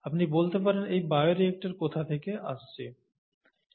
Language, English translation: Bengali, And you would go, ‘where is this bioreactor coming from’